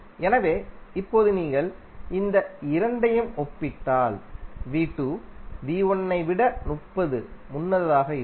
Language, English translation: Tamil, So now if you compare these two you will come to know that V2 is leading by 30 degree